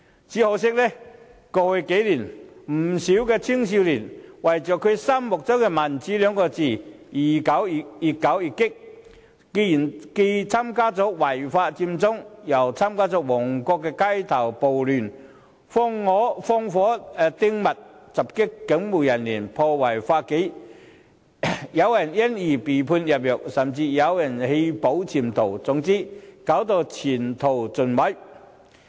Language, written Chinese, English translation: Cantonese, 只可惜，過去數年有不少青年人為了他們心中的民主二字，越搞越激，既參與違法佔中，又參與旺角街頭暴亂，放火擲物，襲擊警務人員，破壞法紀，有人因而被判入獄，有人甚至棄保潛逃，前途盡毀。, It is a shame that in the past few years many young people have become increasingly radical in the pursuit of the democracy they have in mind . They participated in the illegal Occupy Central movement and the Mong Kok street riot setting fire hurling objects attacking police officers and disrupting public order . Consequently some people were sentenced to imprisonment and some jumped bail; either way their future is ruined